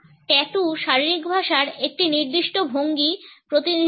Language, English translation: Bengali, Tattoos represent a specific form of body language